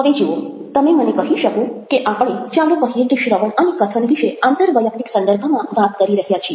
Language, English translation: Gujarati, now you see that you might tell me that, ah, we have been talking about, lets say, speaking and listening in the inter personal context